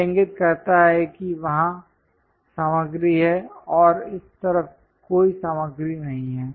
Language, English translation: Hindi, This indicates that material is there and there is no material on this side